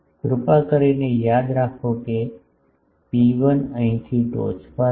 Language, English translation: Gujarati, Please remember that rho 1 is from here to apex